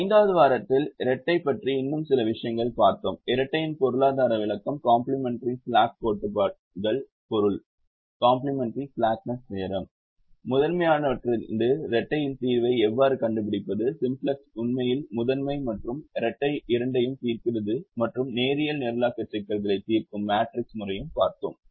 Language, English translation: Tamil, in the fifth week we look at some more things about the dual: the economic interpretation of the dual, the meaning of the dual, complementary slackness theorems, how to find the solution of the dual from that of the primal, went on to say that the simplex actually solves both the primal and the and the dual and also look at matrix method of solving linear programming problems